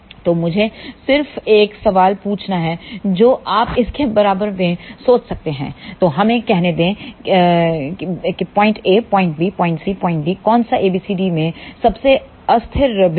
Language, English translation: Hindi, So, let me just ask you a question you can think about it so, let us say point a point b point c point d which is the most unstable point among a b c d